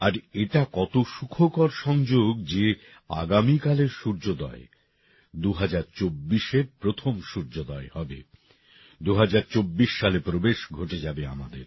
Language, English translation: Bengali, And what a joyous coincidence it is that tomorrow's sunrise will be the first sunrise of 2024 we would have entered the year 2024